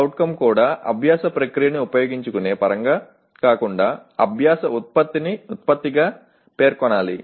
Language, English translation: Telugu, The CO should also be stated as learning product rather than in terms of using the learning process